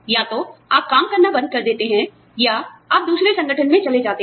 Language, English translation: Hindi, Either, you stop working, or, you move on to another organization